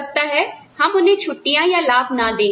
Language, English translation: Hindi, We may not give them a vacation, a benefit